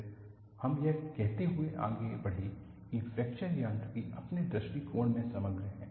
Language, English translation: Hindi, Then, we moved on to, saying that fracture mechanics is holistic () approach